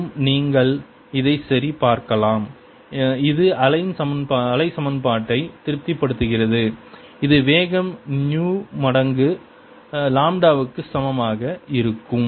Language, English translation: Tamil, and i can check that this and satisfy the wave equation with velocity being equal to new times lambda